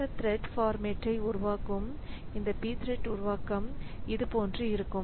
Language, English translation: Tamil, So, the format of this p thread, p thread create is like this